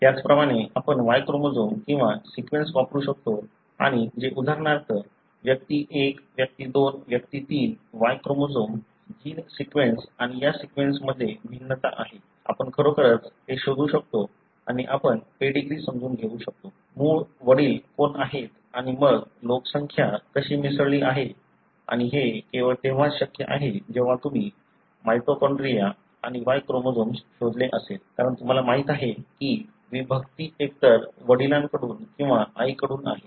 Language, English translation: Marathi, Likewise, we can use the Y chromosome or sequence therein and which could be for example, individual 1, individual 2, individual 3; there are variations in the Y chromosome gene sequence and this sequence, we can really trace it and we will be able to understand the ancestry; who are the original fathers and then how the population has mixed and this is possible only if you have traced the mitochondria and Y chromosome, because you know the, the segregation is either from father or from mother